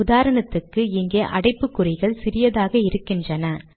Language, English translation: Tamil, For example here, these brackets are very small